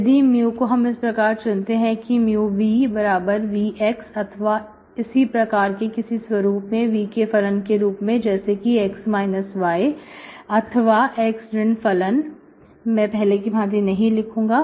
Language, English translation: Hindi, If I choose mu as mu of x, y, as mu of v, v is function of x, y but v of xy is actually, in specific form like v of, maybe something like x minus y, x minus function of, this is a of, so I do not write the same